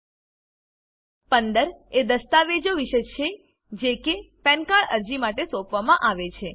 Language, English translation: Gujarati, Item 15, is about documents to be submitted for Pan Card application